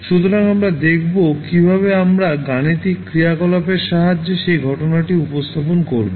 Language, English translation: Bengali, So, we will see how we will represent that particular phenomena with the help of a mathematical function